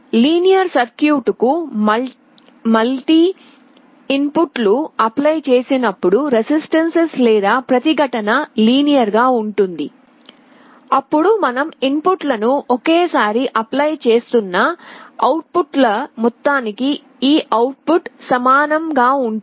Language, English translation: Telugu, It says that when multiple inputs are applied to a linear circuit; resistance is linear, then the output will be the same as the sum of the outputs where you are applying the inputs one at a time